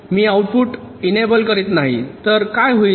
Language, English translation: Marathi, so if i am not enabling the output, then what will happen